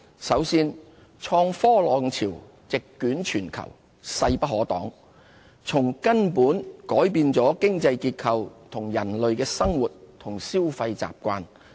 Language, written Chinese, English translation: Cantonese, 首先，創科浪潮席捲全球，勢不可當，從根本改變了經濟結構和人類的生活與消費習慣。, First the unstoppable wave of innovation and technology IT has swept through the world fundamentally changing the global economic structure and the way we live and consume